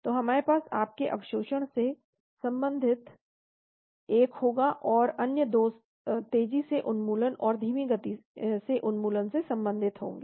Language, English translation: Hindi, So we will have one relating to your absorption, and the other 2 will be related to faster elimination and, slow elimination